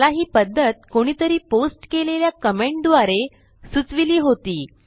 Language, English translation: Marathi, I was informed about this method through a comment someone posted